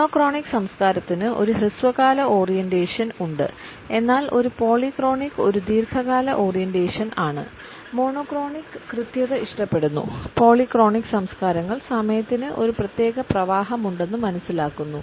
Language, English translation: Malayalam, Monochronic culture also has a short term orientation in relation with a polychronic which is a long term orientation whereas, monochronic prefers precision we find that the polychronic cultures understand the time has a particular flow